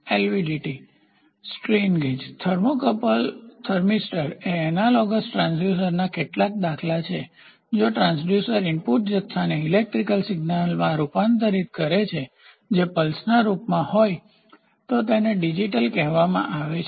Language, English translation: Gujarati, So, LVDT strain gauge thermocouple thermistor are some of the example of analogous transducers, if the transducer converts the input quantity into an electrical signal that is in the form of pulse, then it is called as digital